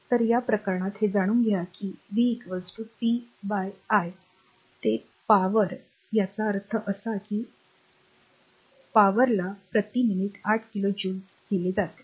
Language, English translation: Marathi, So, in this case we know that your v is equal to p upon i right that is the power; that means, p is given 8 kilo joule per minute